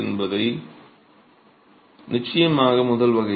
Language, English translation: Tamil, So, this is definitely the first category